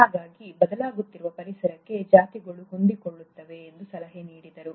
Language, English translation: Kannada, So he suggested that the species can adapt to the changing environment